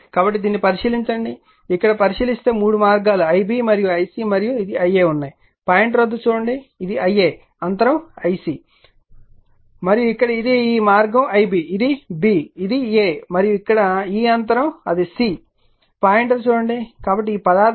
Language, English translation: Telugu, So, if you look into this and look into this that your there are three paths when L B then your L C and this is L A, this is look at the pointer this is L A the gap is your L C and here it is this path is L B right, it is mark B it is A and this gas here it is mark C, look at the pointer right